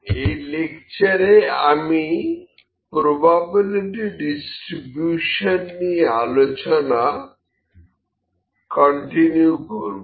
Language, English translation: Bengali, So, this lecture we will continue the probability distributions